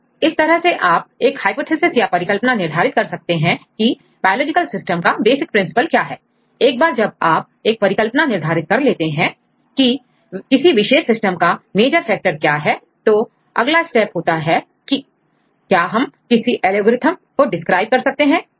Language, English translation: Hindi, So, you can derive the hypothesis what is the basic principle for having this biological systems once you derive the hypothesis to understand these are the major factors for any specific systems right the next step is whether we are able to describe any algorithm, whether we are be able to derive any algorithm right